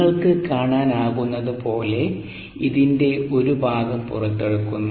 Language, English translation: Malayalam, as you can see, a part of this is being pulled out